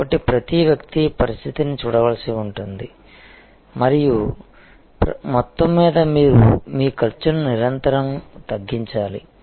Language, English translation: Telugu, So, one will have to look at each individual situation and, but overall you must continuously lower your cost